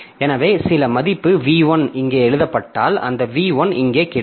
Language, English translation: Tamil, So, if some value V1 is written here, if some value v1 is written here so that v1 will be available here